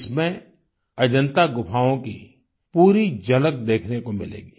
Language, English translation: Hindi, A full view of the caves of Ajanta shall be on display in this